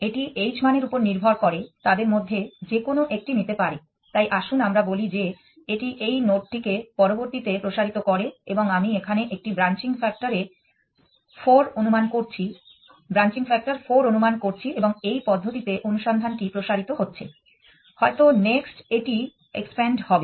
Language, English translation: Bengali, It can take any one of them depending on the h value, so let us say that it expands this node next and I am assuming here a branching factor 4 and the search proceeds in this fashion may be this is the next one that it expands